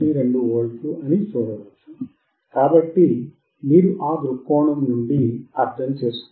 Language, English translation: Telugu, 12V so, you understand from that point of view